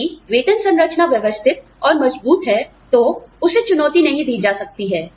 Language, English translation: Hindi, If the pay structure is systematic and robust, it cannot be challenged